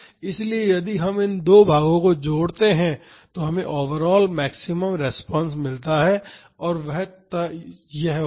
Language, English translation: Hindi, So, if we combine these two plots we get the overall maximum response and that would be this